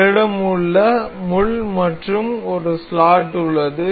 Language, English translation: Tamil, We have a pin and we have a slot